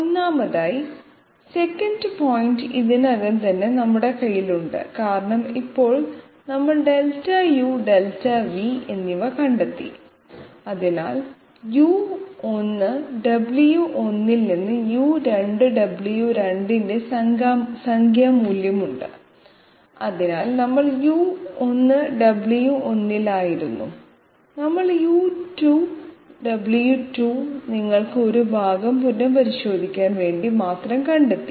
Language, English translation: Malayalam, 1st of all, if the 2nd point okay 2nd point we already have in our hand because now we have found out Delta u and Delta v and therefore we have a numerical value of U2 W2 from U1 W1, so we were at U1 W1, we have found out U2 W2 just to make you recapitulate part